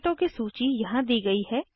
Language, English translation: Hindi, List of tickets is given here